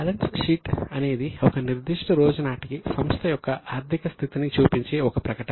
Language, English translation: Telugu, The balance sheet is a statement which shows the financial position of the entity as on a particular day